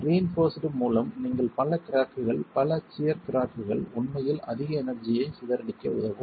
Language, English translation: Tamil, With reinforcement you can have multiple cracks, multiple shear cracks that can actually help dissipate more energy